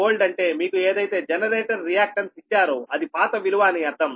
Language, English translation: Telugu, x g one old means whatever reactance of the generator is given